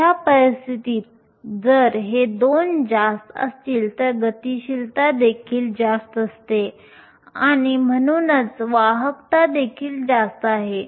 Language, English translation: Marathi, In such a case, if these two are large your mobilities are also large and hence the conductivities is also higher